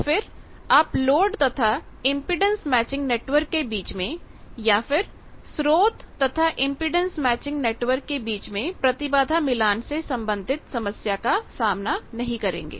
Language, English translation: Hindi, You would not have any mismatch problem between source and the impedance matching network input, you would not have any mismatch problem